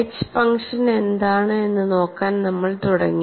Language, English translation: Malayalam, Then, we moved on to look at what is the function H